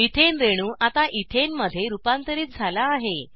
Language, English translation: Marathi, Methane molecule is now converted to Ethane